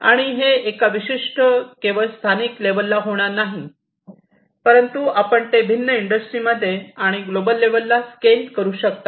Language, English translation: Marathi, And this is not going to be just local within a particular industry, but across different industry, and also you can scale it up to the global level